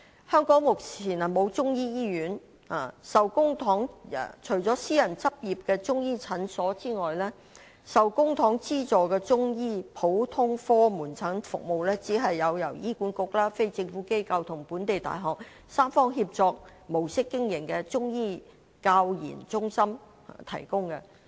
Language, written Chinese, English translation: Cantonese, 香港目前沒有中醫醫院，除了私人執業的中醫診所外，受公帑資助的中醫普通科門診服務，只是由醫院管理局、非政府機構和本地大學以三方協作模式經營的中醫教研中心提供。, At present there is no Chinese medicine hospital in Hong Kong . Apart from the Chinese medicine clinics with services provided by private practitioners Chinese medicine general outpatient clinic services being funded by the Government are only provided by the Chinese Medicine Centres for Training and Research CMCTRs operated under the tripartite cooperation of the Hospital Authority HA non - governmental organizations and local universities